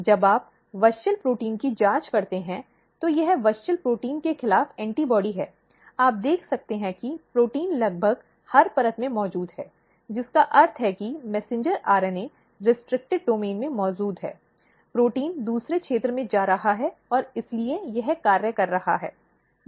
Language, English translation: Hindi, This is a non cell autonomous activation, how it happens when you, probe the proteins, the WUSCHEL protein this is antibody against the WUSCHEL protein, you can see that protein is present almost every layers, which means that messenger RNA is present in the restricted domain, then it is moving, protein is moving to the other region and that is why it is functioning